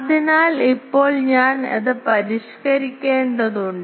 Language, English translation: Malayalam, So, now, I need to then modify that